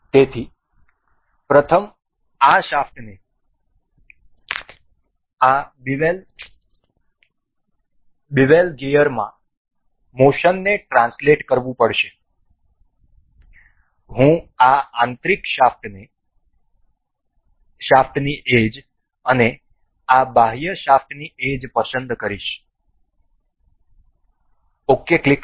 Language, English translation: Gujarati, So, for first this this shaft has to translate the motion to this particular bevel gear, I will select the edge of this inner shaft and the edge of this outer shaft click ok